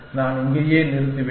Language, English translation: Tamil, I will just stop here